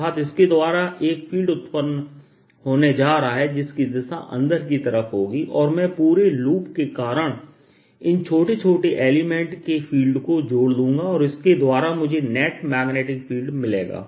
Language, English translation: Hindi, so this will produce a field going in and i add these small small contributions due to the entire loop and that gives me the net magnetic field